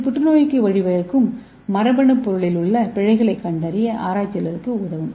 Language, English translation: Tamil, So it will help the researchers to detect the errors in the genetic material that may lead to cancer